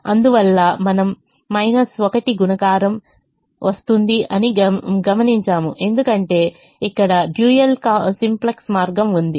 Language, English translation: Telugu, the minus one multiplication comes because the dual simplex way here